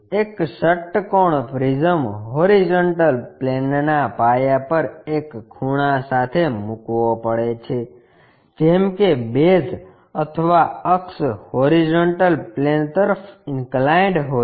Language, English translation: Gujarati, A hexagonal prism has to be placed with a corner on base of the horizontal plane, such that base or axis is inclined to horizontal plane